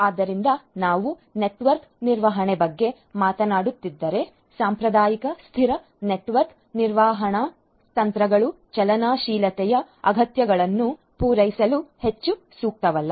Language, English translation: Kannada, So, if we are talking about network management static traditional network management techniques are not very suitable to cater to the requirements of dynamism